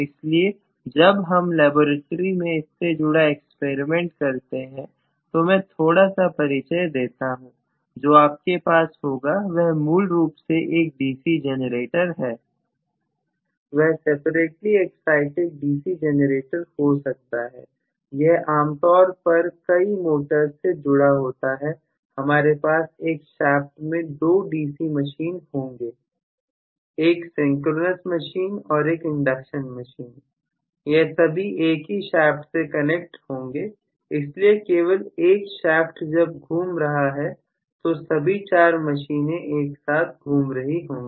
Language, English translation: Hindi, So, when we conduct the experiment on the laboratory little bit of introduction I will give you for that, what you will have is basically a DC generator, may be separately exited DC generator, this is generally connected to multiple number of motors, we have on one shaft two DC machines, one synchronous machine and one induction machine all of them connected you know in one shaft, so only one shaft when it is rotating all the four machines will be rotating simultaneously